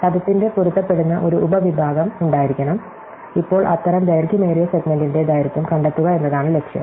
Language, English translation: Malayalam, So, there must be a matching sub segment of the word and now, the aim is to find the length of the longest such segment